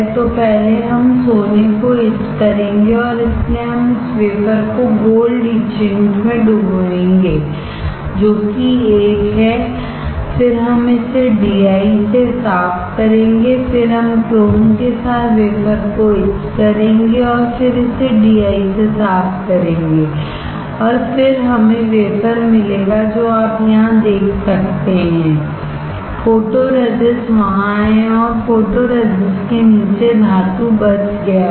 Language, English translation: Hindi, So, first we will etch the gold and that is why we will dip this wafer in gold etchant which is 1, then we will rinse it with DI, we will then etch the wafer with chrome again rinse it with DI and then we get the wafer which you can see here; the photoresist is there and the metal below photoresist is saved